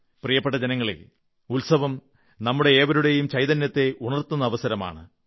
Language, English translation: Malayalam, My dear countrymen, festivals are occasions that awaken a new consciousness in our lives